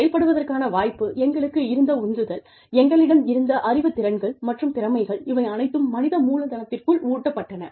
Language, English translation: Tamil, The opportunity to perform, the motivation we had, the knowledge skills and abilities we had, fed into the human capital